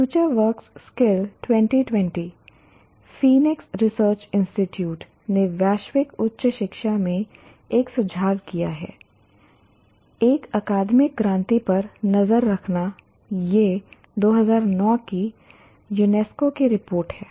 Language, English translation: Hindi, Future work skills, 2020 Phoenix Research Institute has put up and trends in global higher education tracking in tracking an academic revolution